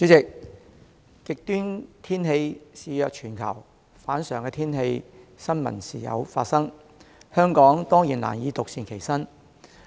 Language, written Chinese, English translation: Cantonese, 主席，極端天氣肆虐全球，反常天氣的新聞時有發生，香港當然難以獨善其身。, President as extreme weather continues to plague the world news stories about abnormal weather conditions are frequent . Hong Kong certainly cannot be unaffected